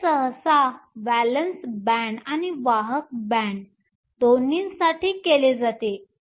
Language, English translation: Marathi, This is typically done for both the valence band and the conduction band